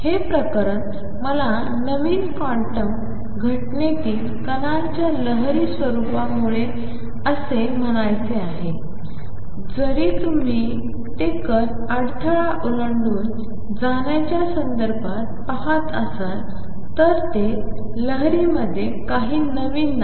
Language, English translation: Marathi, This case, all I want to say because of the wave nature of the particle in new quantum phenomena come although you are seeing it in the context of a particle going across the barrier it is nothing new in waves